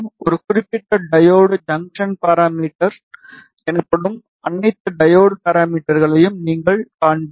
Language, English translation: Tamil, And you will see all the diode parameters which are basically diode junction parameters which are specific to a particular diode